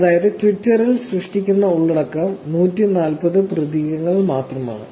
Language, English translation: Malayalam, That means the content that is getting generated on Twitter is only 140 characters